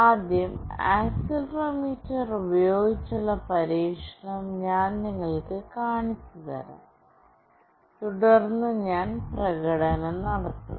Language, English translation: Malayalam, Firstly, I will show you the experiment with accelerometer, and then I will do the demonstration